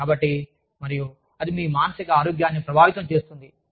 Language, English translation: Telugu, So, and that influences, your emotional health